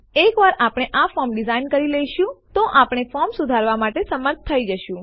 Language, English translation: Gujarati, Once we design this form, we will be able to update the form